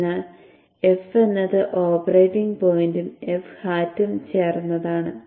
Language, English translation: Malayalam, So if it is also composed of a F, which is operating point plus F hat